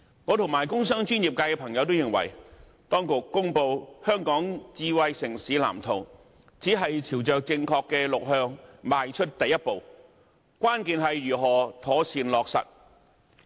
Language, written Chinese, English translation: Cantonese, 我和工商專業界的朋友均認為，當局公布《藍圖》，只是朝着正確的方向邁出第一步，關鍵是如何妥善落實。, Members from the industrial commercial and professional sectors and I hold that the Blueprint published by the authorities is just the first step on the right track and the key lies in how to ensure proper implementation